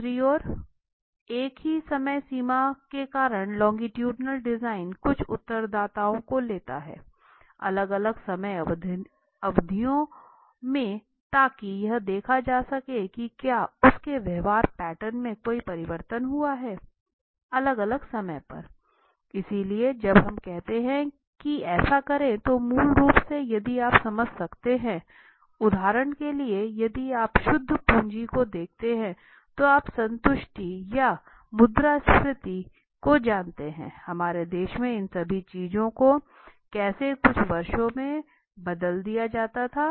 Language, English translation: Hindi, Because of the same time frame on the other hand longitudinal design takes up few respondents across the different time periods so that to see whether there has been any change in their behavior patterns a cross the different times so when we say do this, is basically if you can understand for example if you see that capital, net capital you know the satisfaction or inflation in our country of anything so all these things how it is changed across certain years